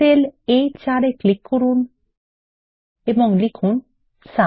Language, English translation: Bengali, Click on the cell A4 and type SUM